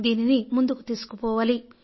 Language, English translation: Telugu, We should take this thing forward